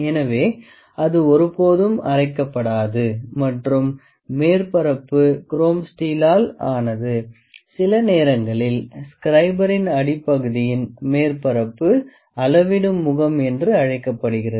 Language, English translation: Tamil, So, that is never grinded and the surface is made up of chrome steel sometimes see this is the measuring face, this face is the surface of the bottom is known as the measuring face